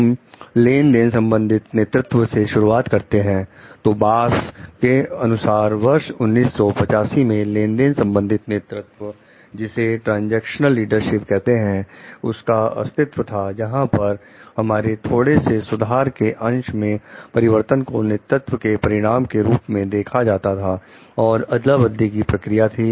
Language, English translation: Hindi, Will start with transactional leadership, so, according to Bass in 1985 according to him the transactional leadership is said to exist when changes in degree our marginal improvement can be seen as a result of a leadership that is an exchange process